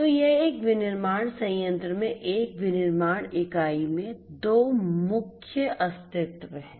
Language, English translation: Hindi, So, these are the two main entities in a manufacturing unit in a manufacturing plant